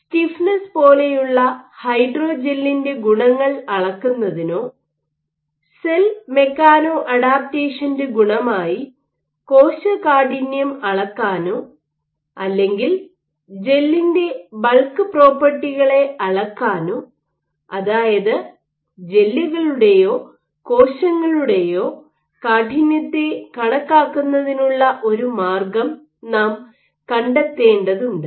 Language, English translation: Malayalam, And to either measure the properties of the hydrogel that is stiffness or the cell stiffness as an attribute of cell mechano adaptation or the bulk properties of the gel, we have to find a way of quantifying stiffness of gels or cells